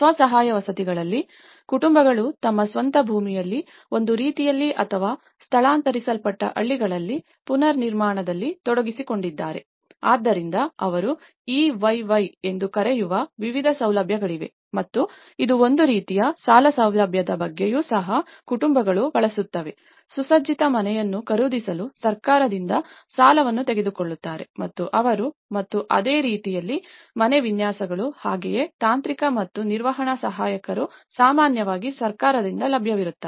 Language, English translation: Kannada, In self help housing, where families are involved in the reconstruction on their own land that is one way or in a relocated villages, so there are different facilities like one is they call EYY and it’s about kind of loan facility also, the families use the government credits to buy a furnished house so, they take a loan and they purchase and similarly, the house designs, as well as the technical and management assistants, are usually available from the government